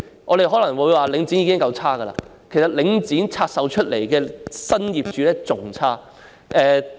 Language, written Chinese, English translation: Cantonese, 我們可能會說領展已經很差劣，但拆售出來的新業主更差。, We may say that Link REIT is bad yet the new owner of the divested property is even worse